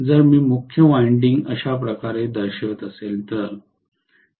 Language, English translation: Marathi, If I am showing main winding like this